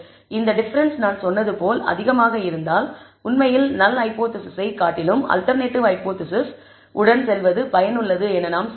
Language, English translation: Tamil, This difference if it is large enough as I said then we can actually say maybe it is worthwhile going with the alternate hypothesis rather than null hypothesis